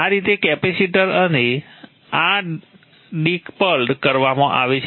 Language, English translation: Gujarati, Now this way the capacitor and this are decoupled